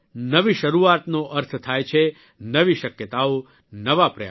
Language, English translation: Gujarati, New beginning means new possibilities New Efforts